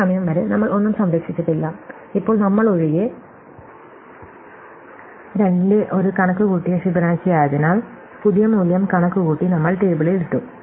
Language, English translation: Malayalam, So, up to this point, we have not saved anything, excepted we have also now, because we have computed Fibonacci of 2, we have added it too, we done new value computed we put it into the table